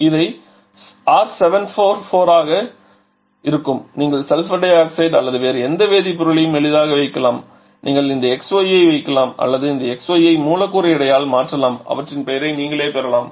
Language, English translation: Tamil, So, it will be R744 this way you can easily put something like sulphur dioxide or any other chemicals you can just put this xy or the replace this xy by the molecular weight and you can get their name